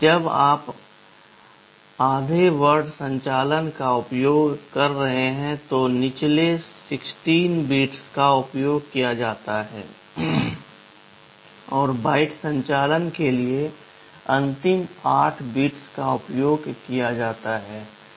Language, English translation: Hindi, When you are using half word operations, the lower 16 bits is used, and for byte operations the last 8 bits are used